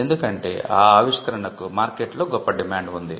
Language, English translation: Telugu, Because there is a great demand in the market